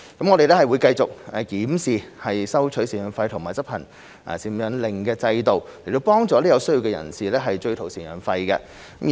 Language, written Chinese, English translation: Cantonese, 我們會繼續檢視收取贍養費和執行贍養令的制度，以幫助有需要的人士追討贍養費。, We will continue to review the system of collection of maintenance payments and enforcement of maintenance orders so as to assist persons in need to recover maintenance payments